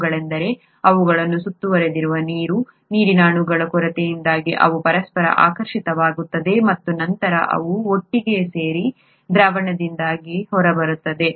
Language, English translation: Kannada, They are, they get attracted to each other because of the lack of water molecules that surround them and then they come together and fall out of solution